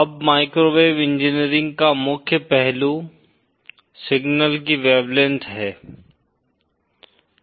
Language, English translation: Hindi, Now the key aspect of microwave engineering is the wavelength of the signal